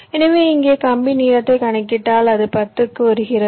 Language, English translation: Tamil, so if you just calculate the wire length here, so it comes to ten